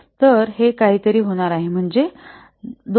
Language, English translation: Marathi, So, this will be equal to 0